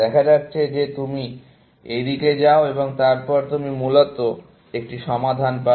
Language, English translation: Bengali, It turns out that you go this side, and then, you get a solution, essentially